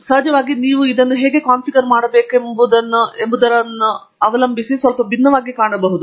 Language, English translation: Kannada, Of course, it can look a bit different depending on how you configure it